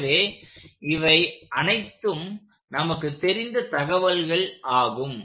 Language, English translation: Tamil, So, these are all information we know